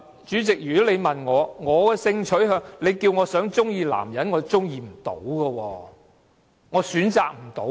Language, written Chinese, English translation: Cantonese, 主席，如果你問我的性傾向，你要求我喜歡男性，我做不到。, Chairman if you ask me to choose my sexual orientation and ask me to like men I cannot do it